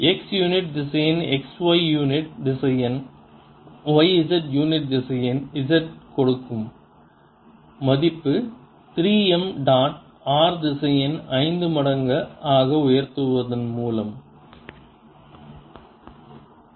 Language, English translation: Tamil, i am getting three x square x unit vector plus three x, y, y unit vector plus three x, z z unit vector over r raise to five times